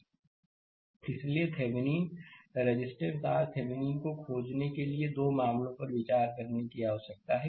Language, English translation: Hindi, So, for finding your Thevenin resistance R Thevenin, we need to consider 2 cases